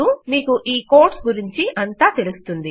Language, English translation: Telugu, You will be able to know all these codes about